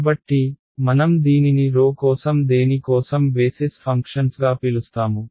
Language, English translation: Telugu, So, we will call this as basis functions for what for rho